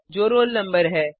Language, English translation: Hindi, That is roll number